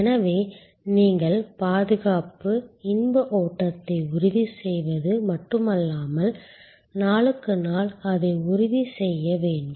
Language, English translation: Tamil, So, you have not only ensure security, safety, pleasure flow, but you have to also ensure it time after time day after day